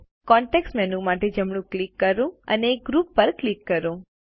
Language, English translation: Gujarati, Right click for the context menu and click Group